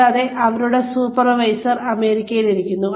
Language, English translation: Malayalam, And, their supervisor is sitting in the United States